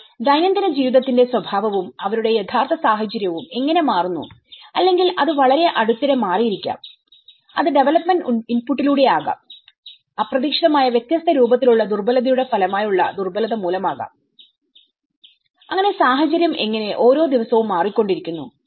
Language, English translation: Malayalam, But the nature of the daily life and how their actual situation changes or which may have changed very recently, it could be through the development input, it could be by the vulnerability as a result of the unexpected different forms of vulnerability, so how a situation is changing every day